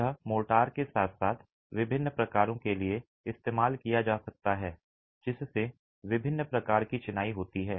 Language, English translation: Hindi, They could be used along with mortar of different types which leads to different types of masonry